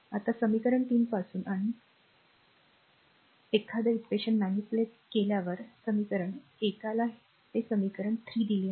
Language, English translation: Marathi, Now, from equation 3, and one you will get just just manipulate, right equation one it is given equation your 3 it is there